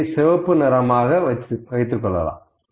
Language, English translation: Tamil, 05, I will color it red, ok